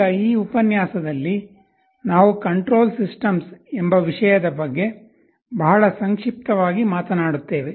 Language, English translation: Kannada, Now in this lecture, we shall be talking about something called Control Systems very briefly